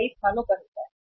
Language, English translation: Hindi, It happens at many places